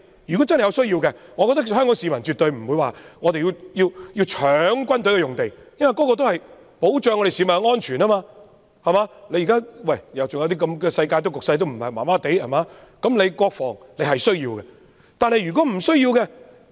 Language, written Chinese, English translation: Cantonese, 我覺得香港市民絕對不會搶軍事用地，因為設置軍事用地也是為了保障市民的安全，尤其現時的世界局勢也不穩定，國防是有需要的。, I think Hong Kong people will definitely not scramble for military sites as the purpose of military sites is for the protection of public safety . National defence is necessary especially when the global situation at present is unstable